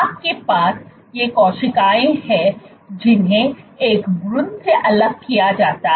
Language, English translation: Hindi, you have these cells which are isolated from an embryo